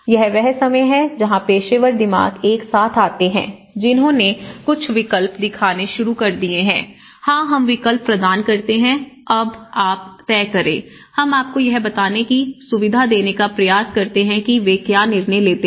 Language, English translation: Hindi, And this is where the time where people have some professional minds come together, they started showing some choices, yes, we provide this option, now you can decide, we try to facilitate you know what they decide